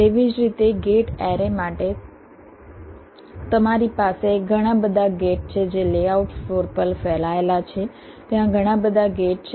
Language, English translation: Gujarati, similarly for gate arrays, you have so many gates which are spread ah on the layout floor